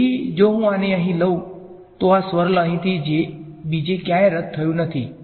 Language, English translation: Gujarati, So, if I take this over here this swirl over here did not cancel from anywhere else